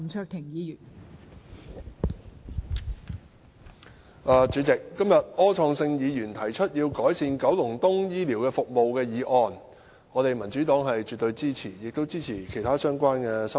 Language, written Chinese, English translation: Cantonese, 代理主席，柯創盛議員今天提出要求改善九龍東醫療服務的議案，民主黨是絕對支持的，我們亦支持其他相關的修正案。, Deputy President today Mr Wilson OR has proposed a motion urging for the urgent improvement of public healthcare services in Kowloon East . The Democratic Party fully supports this motion as well as other relevant amendments